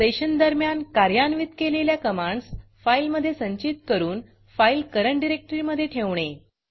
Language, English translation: Marathi, How to Create a file to store commands executed during the session in the current working directory